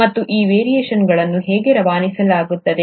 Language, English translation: Kannada, And how are these variations are being passed on